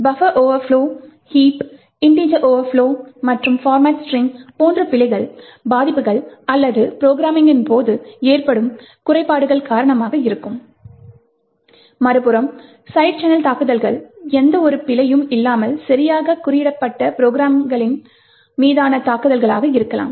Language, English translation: Tamil, While these like the bugs buffer overflows, heaps, integer overflows and format strings are due to vulnerabilities or due to flaws during the programming, side channel attacks on the other hand, could be attacks on programs which are actually coded correctly without any presence of any bug